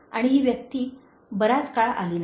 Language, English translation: Marathi, And this person has not come for a long time